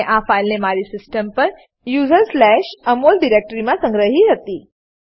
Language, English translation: Gujarati, I had saved the file in users\Amol directory on my system